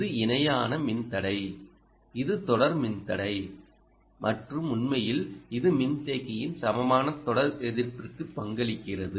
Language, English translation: Tamil, this is parallel resistor, this is series resistor and in fact this is the one that contributes to the equivalent series resistance of the capacitor